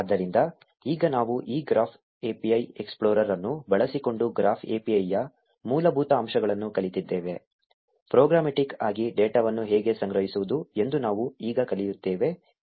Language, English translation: Kannada, So, now that we have learned the basics of the graph API using this graph API explorer, we will now learn how to collect data programmatically